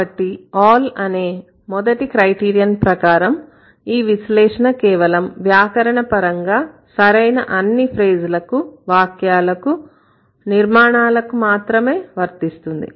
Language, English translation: Telugu, So, the first all criterion means this analysis must account for all grammatically correct phrases and sentences